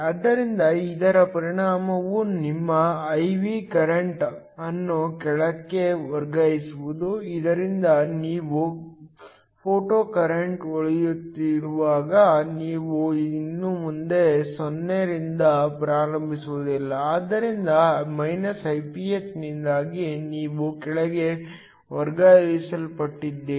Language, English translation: Kannada, So, The affect of this is to shift your I V current below so that when you have some photocurrent shining you no longer start at 0, but you are shifted below because of the Iph